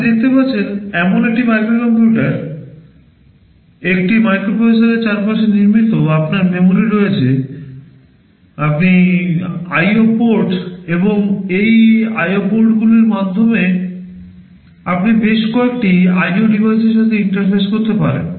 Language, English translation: Bengali, A microcomputer as you can see is built around a microprocessor, you have memory, you are IO ports and through this IO ports you can interface with several IO devices